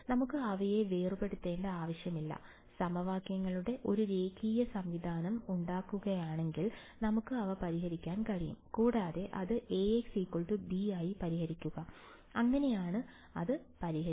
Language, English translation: Malayalam, We will not need to decouple them, we can solve them as we will form a linear system of equations from here, and solve it as A x is equal to b, that is how will solve it